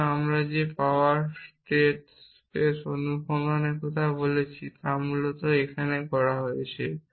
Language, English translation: Bengali, So, the power state space search that we talked about is essentially being done here in